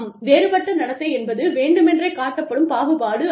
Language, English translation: Tamil, Disparate treatment is intentional discrimination